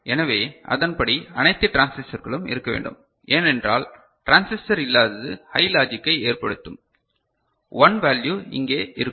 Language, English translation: Tamil, So, accordingly all the transistors need to be present because absence of transistor will make a logic high, one value present here clear